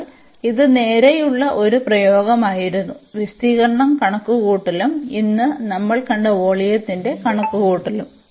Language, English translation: Malayalam, But this was a straight forward application; the computation of the area and the computation of the volume which we have cover today